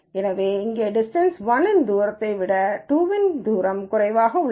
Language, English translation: Tamil, So, here distance 1 is less than distance 2